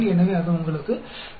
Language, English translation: Tamil, So, that gives you 0